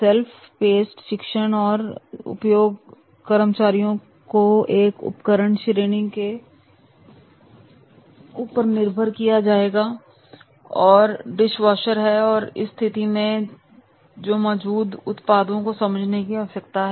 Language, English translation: Hindi, Cell pest training is used to instruct employees about an appliance category that is a dishwashers and therefore in that case they will help them to understand the products available at the store